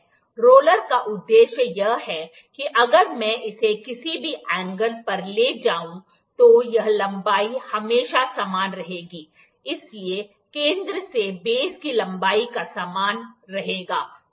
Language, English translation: Hindi, The purpose of roller is that, if even if I move it at any angle, this length would always remain same, this length would always remain same that center to the base length would remain same, ok